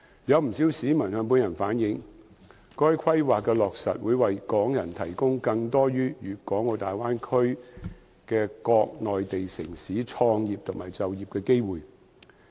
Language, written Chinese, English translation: Cantonese, 有不少市民向本人反映，該規劃的落實會為港人提供更多於粵港澳大灣區的各內地城市創業和就業的機會。, Quite a number of members of the public have relayed to me that the implementation of the Plan will provide Hong Kong people with more opportunities for starting businesses and taking up employment in various Mainland cities within the Guangdong - Hong Kong - Macao Bay Area